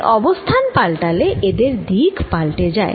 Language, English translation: Bengali, so as you change the position, they also change